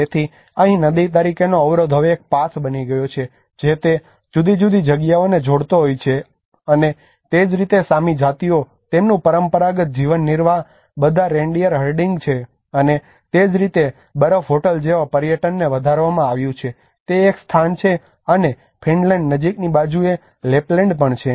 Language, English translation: Gujarati, So here a barrier as a river has now become a path it is connecting different spaces and similarly the Sami tribes their traditional livelihood is all reindeer herding, and that is how the tourism has been enhanced like ‘ice hotel’ is one of the place and also the Lapland near to the Finland side